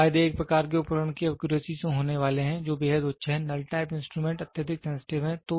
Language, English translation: Hindi, So, the advantages are going to be the accuracy of a type of instrument present extremely high, the null type instrument is highly sensitive